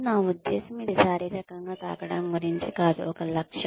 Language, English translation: Telugu, I mean, it is not about physically touching, an objective